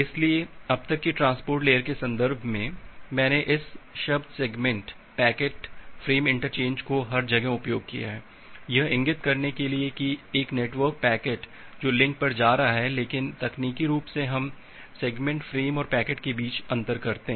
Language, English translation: Hindi, So, in the context of transport layer till now I have use this terms segment, packet, frame interchangeably everything to point that a network packet which is going over the link, but technically we make a differentiation between the segment, the frame and the packets